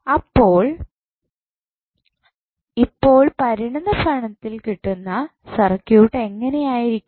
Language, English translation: Malayalam, So, the resultant circuit would be like this and what we need to do is that